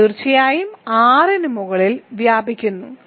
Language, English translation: Malayalam, So, this certainly spans C over R